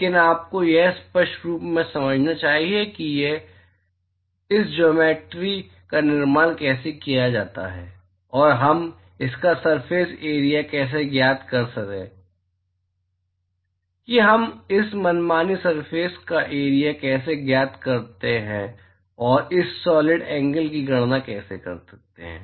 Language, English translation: Hindi, But you must clearly understand how this geometry is constructed and how we find the surface area of the how we find the area of this arbitrary surface and how we are able to calculate the solid angle